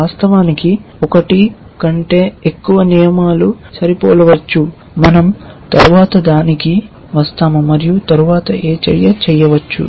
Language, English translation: Telugu, Of course, there may be more than one rule which may be matching, we will come to that later and then what action can be done